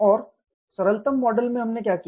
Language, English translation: Hindi, And the simplistic model was what we did